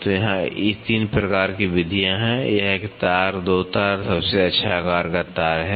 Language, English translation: Hindi, So, here there are 3 types of methods; one is one wire, 2 wire and the best size wire